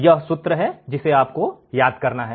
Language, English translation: Hindi, This is the formula that I have to remember